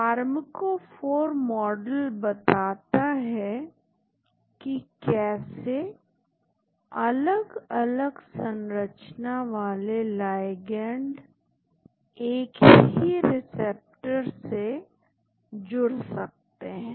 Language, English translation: Hindi, The pharmacophore model explains how structurally diverse ligands can bind to a common receptor